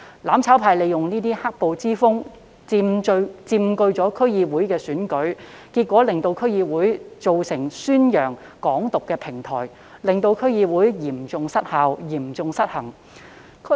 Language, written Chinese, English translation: Cantonese, "攬炒派"利用"黑暴"之風佔據區議會選舉，結果令區議會成為宣揚"港獨"的平台，令區議會嚴重失效、嚴重失衡。, Riding the wave of black - clad violence the mutual destruction camp won a landslide victory in DC elections and subsequently turned DCs into a platform for promoting Hong Kong independence thereby rendering them seriously ineffective and unbalanced